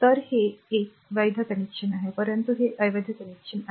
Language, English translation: Marathi, So, this is a valid connection so, but this is invalid connection